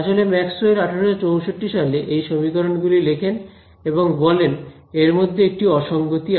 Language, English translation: Bengali, And it is actually Maxwell who came in 1864 who said that these equations; there is an inconsistency in them